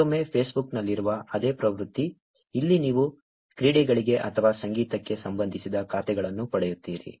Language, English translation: Kannada, Again, same trend as in Facebook, here you get accounts which are related to sports or in music